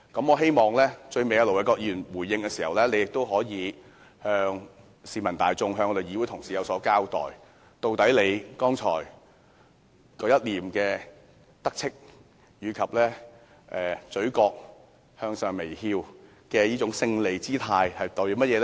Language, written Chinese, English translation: Cantonese, 我希望盧偉國議員在最後回應時，可以向市民大眾和議會同事有所交代，他剛才一臉得意及嘴角微微上揚的勝利表情是甚麼意思？, I hope that Ir Dr LO Wai - kwok can explain to the general public and our colleagues in his final response . What is the meaning of his complacent look and his victorious expression with his lips slightly moving upwards?